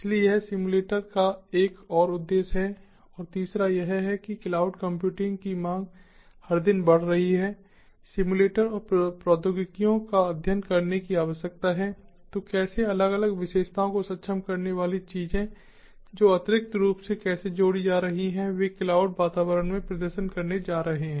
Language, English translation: Hindi, and the third is, as the demand of cloud computing is going everyday, the simulators and technologies are needed to study how things, how different features which are going to be enabled, which are going to be added additionally, how they are going to perform in the cloud environment